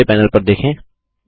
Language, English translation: Hindi, Look at the bottom panel